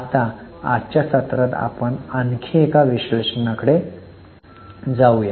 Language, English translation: Marathi, Now let us go to one more analysis in today's session